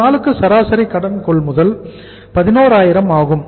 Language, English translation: Tamil, Average credit purchase per day is 11000